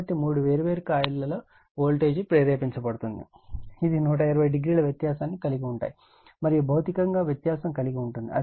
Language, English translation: Telugu, So, voltage will be induced your what we call in all this three different coil, which are 120 degree apart right, physically it is apart right